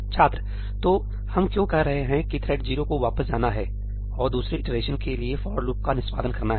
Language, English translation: Hindi, So, why we are saying that thread 0 has to go back and execute the for loop for another iteration